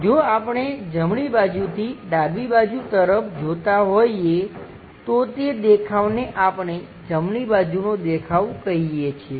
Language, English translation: Gujarati, If we are looking from right side towards left side that view what we call right side view